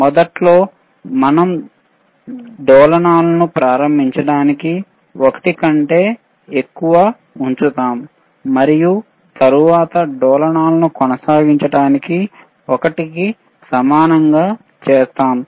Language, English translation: Telugu, iInitially we keep it greater than 1 to start the oscillations and then we make it equal to 1 to sustain the oscillations right